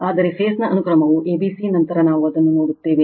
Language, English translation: Kannada, But, phase sequence is a b c later we will see that right